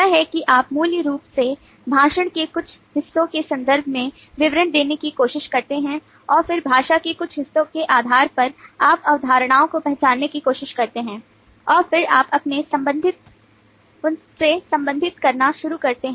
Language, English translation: Hindi, that is, you basically try to parts the description in terms of parts of speech and then, based on the parts of speech, you try to identify concepts and then you start relating them